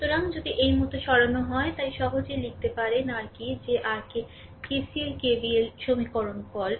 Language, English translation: Bengali, So, if you if you move like this, so easily you can write down your what you call that your KCL KVL equation